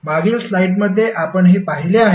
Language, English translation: Marathi, This is what we saw in the previous slide